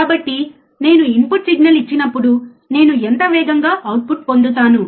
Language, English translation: Telugu, So, when I give a input signal, how fast I I get the output